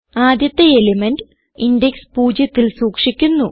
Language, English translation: Malayalam, The first element is stored at index 0